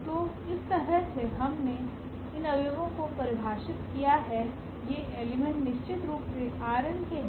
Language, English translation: Hindi, So, in this way we have defined these elements these elements are from R n of course